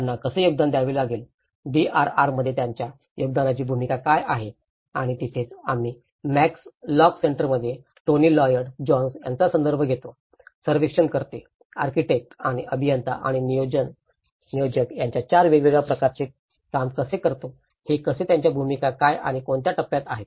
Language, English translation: Marathi, How they have to contribute, what is the role of their contribution in the DRR and that is where we refer to the Tony Lloyd Jones in Max lock Centres work of the 4 different categories of surveyor, architects and the engineer and the planner so how what are their roles and what stage